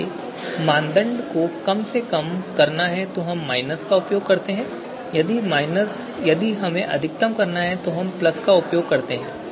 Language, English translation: Hindi, So if it is to be criterion is to be minimized then we use minus if it is to be maximize then we use plus